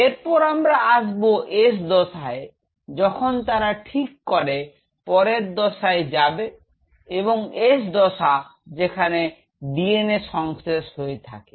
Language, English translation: Bengali, Then comes a phase called S phase if they decide to you know go further and this is the S phase where DNA synthesis happens